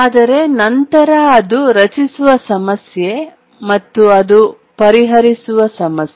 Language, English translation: Kannada, But then let's look at the problem it creates and the problem it solves